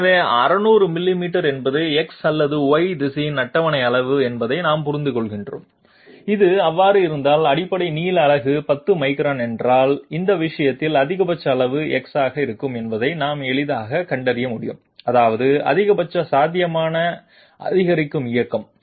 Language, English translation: Tamil, So we understand that 600 millimeters is the table size on either X or Y direction, if this be so then if the basic length unit is 10 microns, in that case we can easily find out what will be the maximum size of Delta x that means maximum possible incremental motion